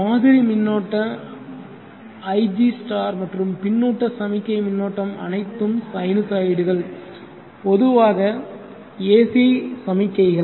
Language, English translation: Tamil, The reference current ig* and the feedback signal current they are all sinusoids AC signals in general